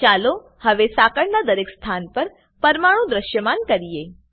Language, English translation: Gujarati, Lets now display atoms at each position on the chain